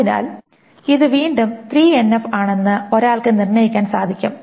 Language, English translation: Malayalam, So this is again in 3NF one can determine